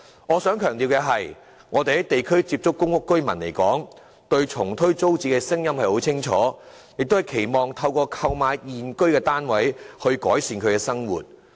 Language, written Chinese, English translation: Cantonese, 我想強調的是，我們在地區層面接觸過的公屋居民，他們對重推租置計劃的立場是很明確的，期望透過購買現居單位來改善生活。, I want to emphasize that those PRH tenants whom we came into contact at district level do have a clear stance regarding the relaunching of TPS they wish to improve their living through purchasing their own units